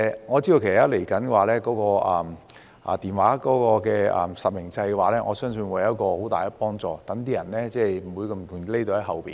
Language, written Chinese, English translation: Cantonese, 我知道日後會實施電話卡實名制，我相信這會有很大幫助，令那些人不可輕易躲在後面。, I am aware that the Real - name Registration Programme for SIM Cards will be implemented in the future . I believe this will be very helpful as those cyber - bullies can no longer hide behind the Internet easily